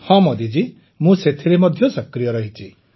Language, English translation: Odia, Yes Modi ji, I am active